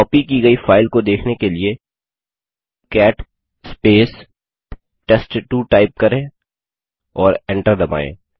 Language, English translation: Hindi, Let us see its content, for that we will type cat sample3 and press enter